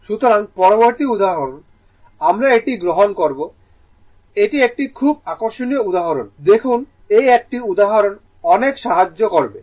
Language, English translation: Bengali, So, next example, we will take this one this is a very interesting example look one example will help you a lot